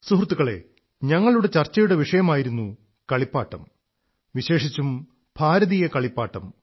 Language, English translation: Malayalam, Friends, the subject that we contemplated over was toys and especially Indian toys